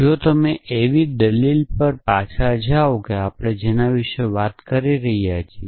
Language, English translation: Gujarati, So, if you go back to the argument that we were talking about